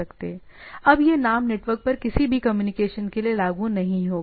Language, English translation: Hindi, Now this name will not be applicable for any communication over the network right